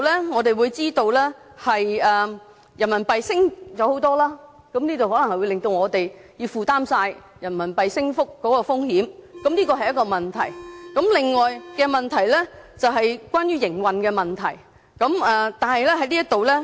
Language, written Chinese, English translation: Cantonese, 我們當然知道人民幣大幅上升，會令到本港要負責人民幣升幅的風險，這是一個問題，而另一個是關於營運的問題。, We do understand that with the substantial appreciation of RMB Hong Kong has to bear the risk of a stronger RMB . This is one side of the problem; the other is about actual operation